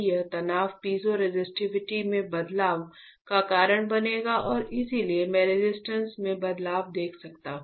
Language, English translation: Hindi, This stress will cause change in the piezo resistivity and that is why I can see the change in resistance